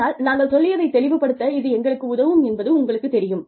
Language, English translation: Tamil, But then, you know, it helps us clarify, whatever we are saying